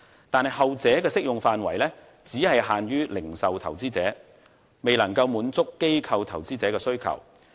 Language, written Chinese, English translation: Cantonese, 但是，後者的適用範圍只限於零售投資者，未能夠滿足機構投資者的需求。, But the latter is only limited to retail investors which is insufficient to meet the needs of institutional investors